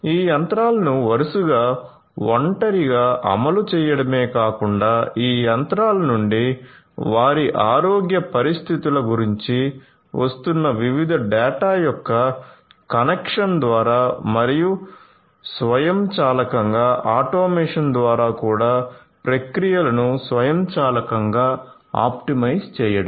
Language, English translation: Telugu, So, not just not just having these machines run respectively in isolation, but also to optimize the processes you know automatically in you know through the connection of the different data that are coming from this machines about their health conditions and so on and also through the automation overall